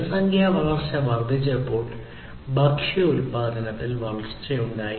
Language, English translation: Malayalam, So, there was growth of food production as the population growth increased